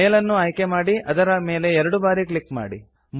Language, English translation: Kannada, Select the mail and double click